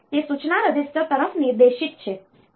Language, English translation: Gujarati, So, it is directed towards the instruction register